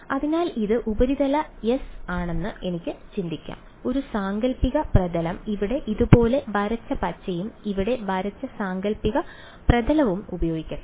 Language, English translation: Malayalam, So, I can think of this being the surface S and one imaginary surface let me use green over here drawn like this and an imaginary surface drawn like this over here ok